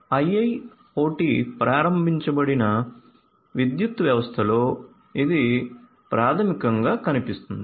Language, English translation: Telugu, This is what basically looks like in an IIoT enabled power system